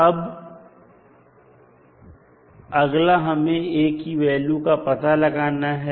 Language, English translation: Hindi, Now, next we have to find the value of constant a